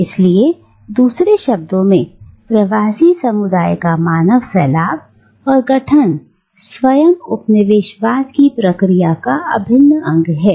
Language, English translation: Hindi, So, in other words, human dispersion and formation of diasporic communities are integral to the process of colonialism itself